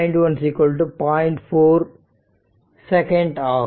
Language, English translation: Tamil, 4 second right